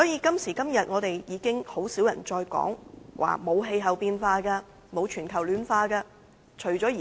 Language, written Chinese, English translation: Cantonese, 今時今日甚少人會再說沒有氣候變化和全球暖化的問題。, Today very few people will deny the problem of climate change and global warming